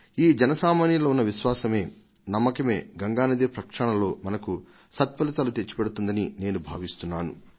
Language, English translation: Telugu, " This faith and hope of the common people is going to ensure success in the cleaning of Ganga